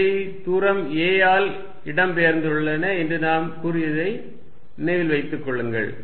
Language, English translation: Tamil, Remember what we said, we said these are displaced by distance a